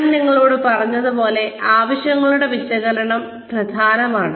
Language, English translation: Malayalam, Like, I told you, a needs analysis is important